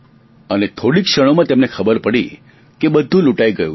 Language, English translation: Gujarati, And in very little time, he understood that he had been looted